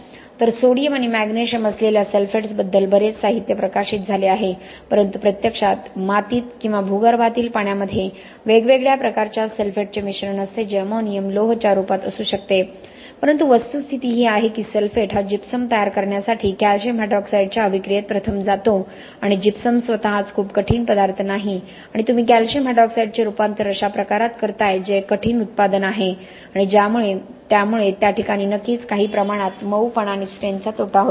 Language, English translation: Marathi, So lot of the literature are published about sulphates involving sodium and magnesium, but in reality you can have a mixture of different type of sulphates in your soil or ground water which may be ammonium, which may be iron whatever it may be, but the fact is that your sulphate goes into reaction first with your calcium hydroxide to produce gypsum and gypsum itself is not a very hard material, you are transforming your calcium hydroxide which is a hard product into something softer because of which there will obviously be some softening and strength loss